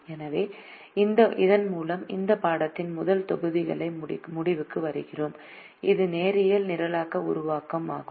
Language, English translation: Tamil, so with this we come to the end of the first module of this course, which is linear programming formulation